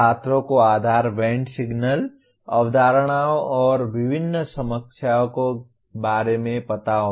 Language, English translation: Hindi, Students will be aware of base band signal concepts and different equalizers